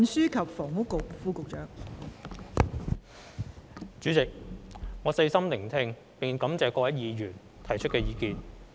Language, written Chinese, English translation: Cantonese, 代理主席，我細心聆聽並感謝各位議員提出的意見。, Deputy President I have listened attentively to Honourable Members views and would like to thank them